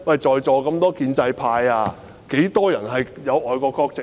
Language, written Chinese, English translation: Cantonese, 在座的建制派中有多少人有外國國籍？, How many people in the pro - establishment camp in this Chamber now have foreign nationality?